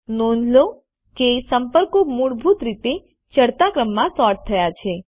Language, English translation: Gujarati, Notice, that the contacts are sorted in the ascending order, by default